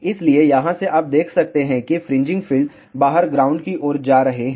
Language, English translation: Hindi, So, from here you can see that the fringing fields are going outward to the ground